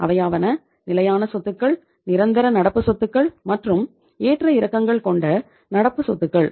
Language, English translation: Tamil, So we have 3 categories of the assets; fixed assets, permanent current assets, and the fluctuating current assets